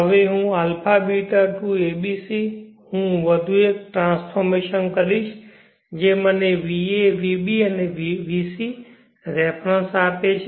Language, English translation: Gujarati, Now a beeta to a b c I will do one more transformation which will give me the reference va vb vc